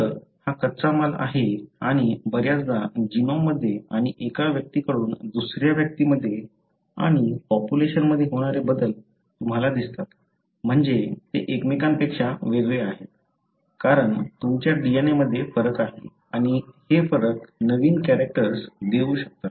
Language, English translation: Marathi, So, these are raw materials and often the changes that you see in the genome and from one individual to the other and the populations are called as variations, meaning they are different from each other, because there is difference in your DNA and these differences can give new characters